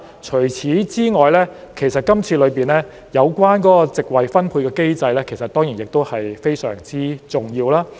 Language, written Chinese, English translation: Cantonese, 除此之外，今次建議中的席位分配機制其實亦非常重要。, In addition the mechanism for allocation of seats in the current proposals is also very important